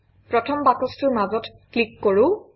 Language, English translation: Assamese, Let us click at the centre of the first box